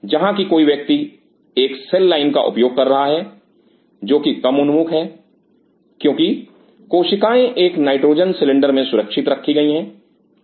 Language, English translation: Hindi, Where somebody using a cell line which is less prone because the cells are safely kept in a nitrogen cylinder and